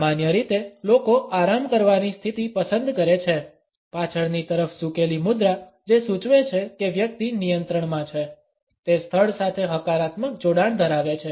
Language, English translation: Gujarati, Normally people opt for a relax position, a leaned back posture which indicates that the person is in control, has a positive association with the place